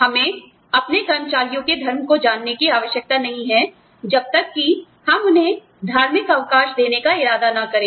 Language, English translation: Hindi, We do not need to know, the religion of our employees, unless, we intend to give them, religious holidays